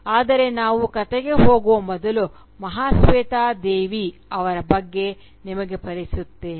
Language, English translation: Kannada, " But, before we go on to the story, let me introduce Mahasweta Devi to you